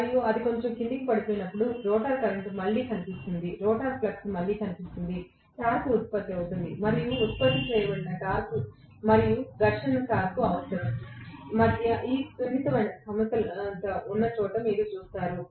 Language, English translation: Telugu, And the moment it falls down even slightly, you will see that again the rotor current reappears, rotor flux reappears, torque is produced and where this delicate balance exists between the torque produced and the frictional torque requirement